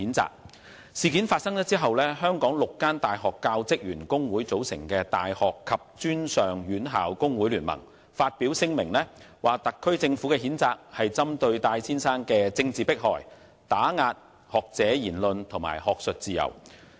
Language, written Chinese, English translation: Cantonese, 這宗事件發生後，由香港6間大學教職員工會組成的大學及專上院校工會聯盟發表聲明，指特區政府作出的譴責為針對戴先生的政治迫害，打壓學者言論及學術自由。, Following this incident The Confederation of Tertiary Institutes Staff Unions comprising six university teaching staff unions issued a statement describing the condemnation of Mr TAI by the SAR Government as political persecution and suppression of his freedom of speech as well as academic freedom